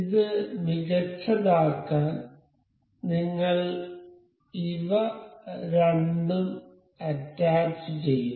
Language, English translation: Malayalam, So, just to make it better we will just attach both of these